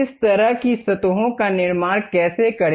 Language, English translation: Hindi, How to construct such kind of surfaces